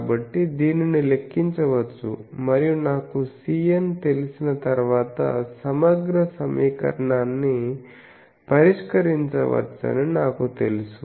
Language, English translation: Telugu, So, this can be computed and once I know C n, I know the integral equation can be solved